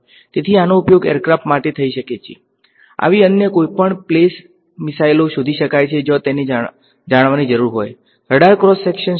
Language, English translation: Gujarati, So, this can be used for aircraft, ships any other such play missiles where it is needed to know: what is the radar cross section